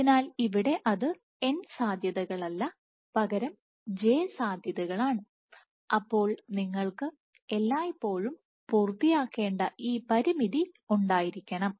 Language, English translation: Malayalam, So, here it is not necessarily n possibilities, but j possibilities where j is, so, you must have this constraint which is always fulfilled